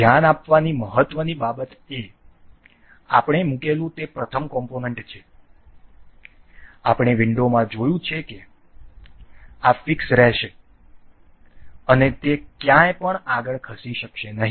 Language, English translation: Gujarati, The important thing to note is the first component that we have been placed, we have see placed in the window this will remain fixed and it cannot move anywhere